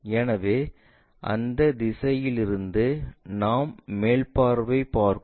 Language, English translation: Tamil, So, top view we are looking at from that direction